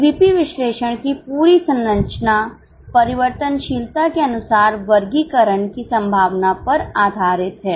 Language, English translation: Hindi, The whole structure of CVP analysis is based on the possibility of classification as per the variability